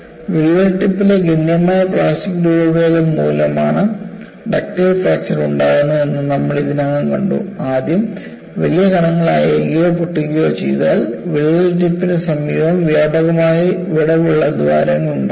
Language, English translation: Malayalam, We have seen already that ductile fracture occurs due to substantial plastic deformation at the crack tip, and what you have is, first the large particles, let loose or break, forming widely spaced holes close to the crack tip